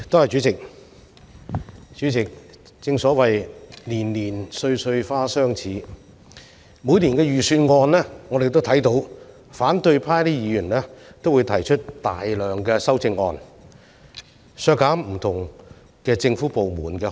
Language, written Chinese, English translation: Cantonese, 主席，正所謂"年年歲歲花相似"，在每年的財政預算案辯論中，反對派議員都提出大量修正案，要求削減不同政府部門的開支。, Chairman as the saying goes year after year the blossoms look alike . In each years budget debate opposition Members have proposed a lot of amendments to reduce the expenditures of different departments